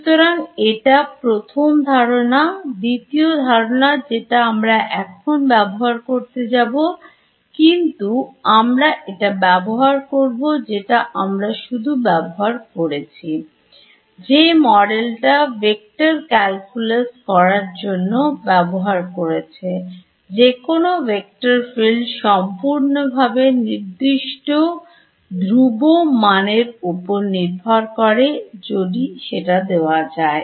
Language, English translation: Bengali, So, this is the first idea right the second idea that we are yet to use, but we will use is that we are done this right in the beginning of the module studying in vector calculus, that any vector field is completely specified up to a constant if you give its